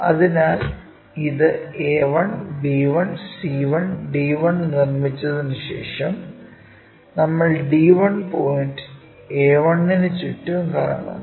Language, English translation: Malayalam, So, we have already after constructing this a 1, b 1, c 1, d 1 we rotate around d 1 point a 1, d 1